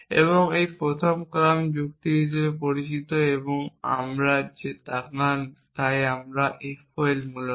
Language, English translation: Bengali, And this is known as first order logic and we want to look at that today FOL essentially